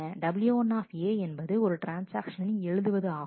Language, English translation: Tamil, W 1 A is the write of the transaction 1